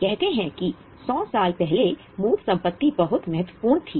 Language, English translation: Hindi, Say 100 years before, tangible assets were very important